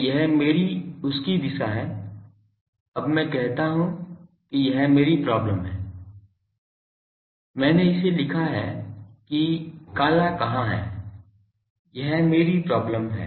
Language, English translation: Hindi, So, this is my direction of that, now I say that this is my equivalent problem I have written it where is the black, this is my equivalent problem